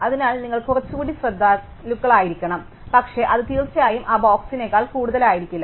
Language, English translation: Malayalam, So, you can be a little more careful about is, but it certainly cannot be any further than that box